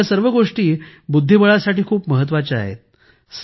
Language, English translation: Marathi, All of these are very important for chess